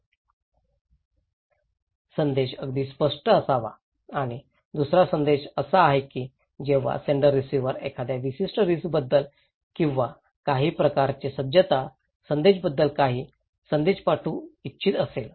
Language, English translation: Marathi, The message should be very clear and second objective is that when senders wants to send the receiver some message about a particular risk or a kind of some preparedness message